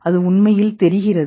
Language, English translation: Tamil, So what is it actually